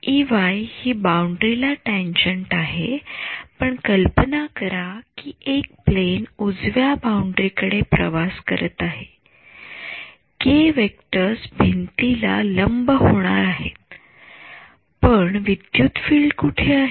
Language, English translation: Marathi, E y is tangent to the boundary, but imagine a plane where that is travelling towards to the right boundary the k vectors going to be perpendicular to the wall, but where was the electric field